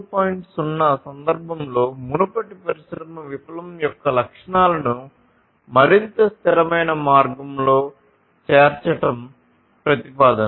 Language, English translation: Telugu, 0 the proposition is to include the characteristics of previous industry revolution in a much more sustainable way